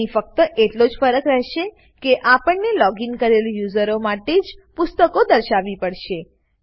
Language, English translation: Gujarati, Here the difference will be that we have to display the books for the logged in user